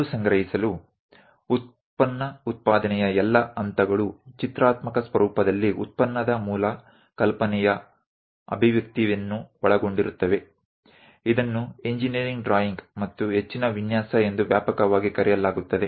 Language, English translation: Kannada, To recap all phases of manufacturing a product involved expressing basic ideas into graphical format widely known as engineering drawing and further design